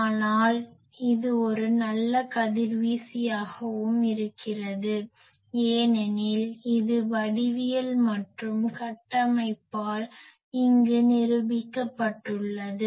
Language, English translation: Tamil, But it also is a very good radiator, because of it is structure because of is geometry and that is proved here